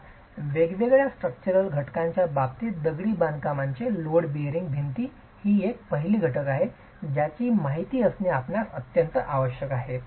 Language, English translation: Marathi, In terms of different structural components, of course masonry load bearing walls is the first element that you should be aware of